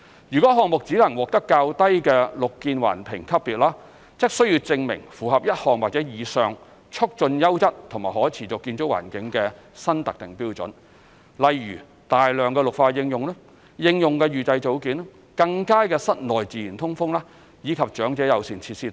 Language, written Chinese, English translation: Cantonese, 如項目只能獲得較低綠建環評級別，則須證明符合1項或以上促進優質和可持續建築環境的新特定標準，例如大量綠化應用、應用預製組件、更佳的室內自然通風，以及長者友善設施。, If a project can only attain a lower rating it has to demonstrate compliance with one or more new specific standards which promote a quality and sustainable built environment . Examples of which include extensive greenery application application of precast modules better interior natural ventilation and elderly - friendly facilities